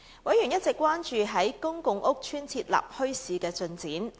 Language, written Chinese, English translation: Cantonese, 委員一直關注在公共屋邨設立墟市的進展。, Members had all along been paying close attention to the progress of developing bazaars in PRH estates